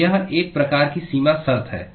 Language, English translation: Hindi, So that is one type of boundary condition